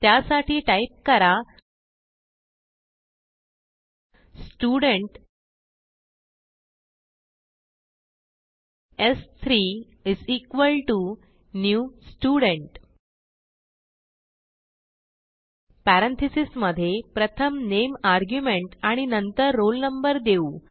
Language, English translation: Marathi, So type Student s3= new Student() Now within parentheses, suppose i gave the name argument first and then the roll number